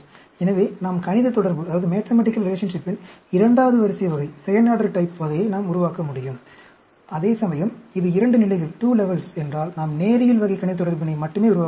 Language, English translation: Tamil, So, we can generate second order type of mathematical relation; whereas, if it is 2 levels, we will be able to generate only linear type of mathematical relationship